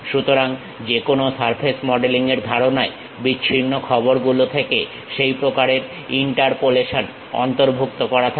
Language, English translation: Bengali, So, any surface modelling concept involves such kind of interpolation from the discrete information